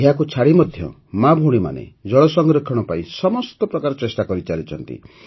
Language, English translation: Odia, Apart from this, sisters and daughters are making allout efforts for water conservation